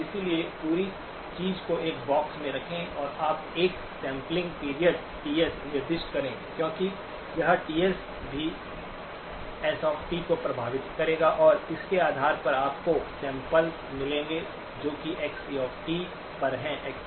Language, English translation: Hindi, So put the whole thing into a box and you specify a sampling period, TS, because this TS will also affect s of t and based on that you will get samples which are at xc of t